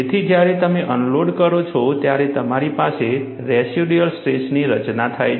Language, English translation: Gujarati, So, when you unload, you have formation of residual stresses